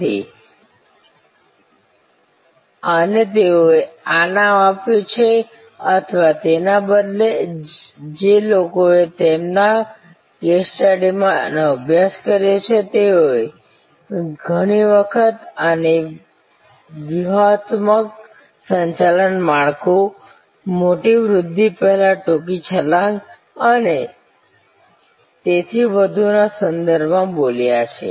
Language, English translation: Gujarati, So, this is they have called it or rather the people who are studied this in their case studies, they have often called this in terms of the strategic management frameworks, the short jump, the major growth initiative and so on